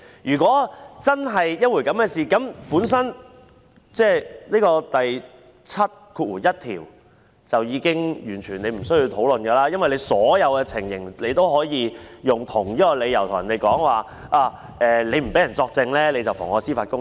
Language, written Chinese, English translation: Cantonese, 如果真是這樣，便已經完全無須討論《立法會條例》第71條，因為在所有情況下也可以提出同一理由，說不讓人作證便是妨礙司法公正。, If it is there is no need to discuss section 71 of the Legislative Council Ordinance at all because the same reason can be cited in all situations by claiming that not letting people give evidence is perverting the course of justice